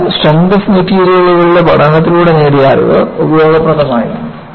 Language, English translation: Malayalam, So, the knowledge, what you have gained in strength of materials was useful